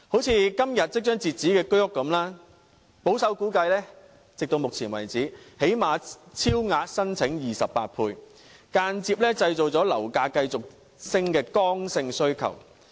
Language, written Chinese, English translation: Cantonese, 正如今天即將截止申請的居屋般，保守估計，截至目前為止最少已超額申請28倍，間接製造樓價繼續上升的剛性需求。, The application period for purchasing the units is expiring today and based on a conservative estimate the number of applications is at least 28 times the number of units on sale by now indirectly generating concrete demands which will then further push property prices upward